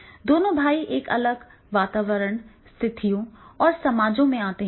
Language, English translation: Hindi, Both the brothers, they come across a different environment and different situations and different society